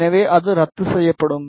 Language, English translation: Tamil, So, it will cancel out